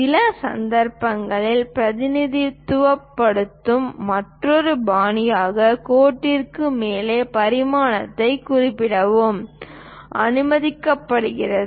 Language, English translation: Tamil, In certain cases, it is also allowed to mention dimension above the line that is another style of representing